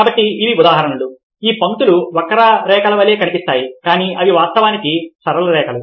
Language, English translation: Telugu, these lines look like curve lines, but they are actually straight lines